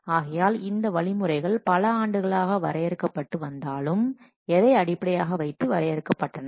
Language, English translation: Tamil, So these guidelines those have been evolved over the years they are based on what